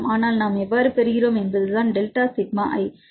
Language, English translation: Tamil, Now the question is how to get this delta sigma i, right